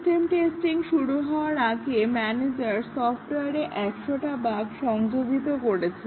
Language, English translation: Bengali, Before the system’s testing started, the manager introduced 100 bugs into the software